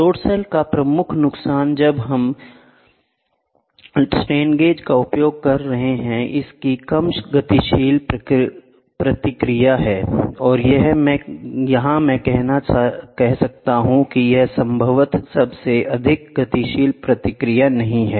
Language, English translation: Hindi, The major disadvantage of the load cell which is using strain gauges, it has low dynamic response or I can say it has most probably no dynamic response